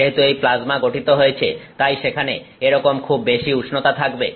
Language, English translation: Bengali, Because this plasma is formed so, there is like its very high temperature